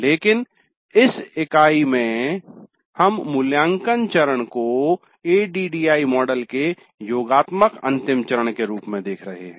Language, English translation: Hindi, But in this unit we are looking at the evaluate phase as the summative final phase of the ADD model